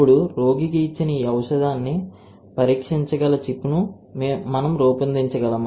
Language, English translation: Telugu, Now, can we design a chip that can screen this drug for a given patient